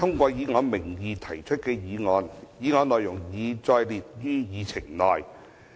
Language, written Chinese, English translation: Cantonese, 主席，我動議通過以我名義提出的議案，議案內容已載列於議程內。, President I move that the motion under my name as printed on the Agenda be passed